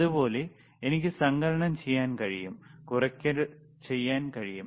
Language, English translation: Malayalam, So now, I can do addition, I can do the subtraction, all right